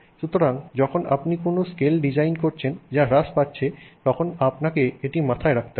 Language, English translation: Bengali, That is so when you are designing something that is going down in scale you have to keep this in mind